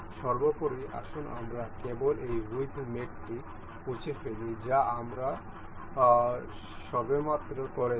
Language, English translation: Bengali, First of all, let us just delete this width mate that we have just in